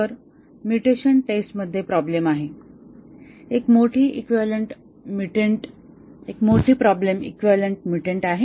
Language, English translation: Marathi, So, the problems with the mutation testing, one big problem is equivalent mutant